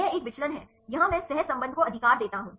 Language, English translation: Hindi, This is a deviation here I give the correlation right